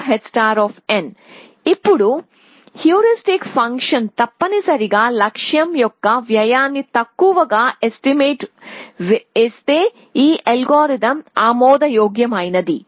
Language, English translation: Telugu, So, the algorithm is admissible if the heuristic function underestimates the cost of the goal essentially